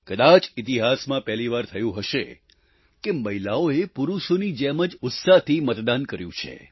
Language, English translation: Gujarati, Perhaps, this is the first time ever, that women have enthusiastically voted, as much as men did